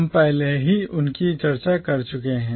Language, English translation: Hindi, We have already discussed them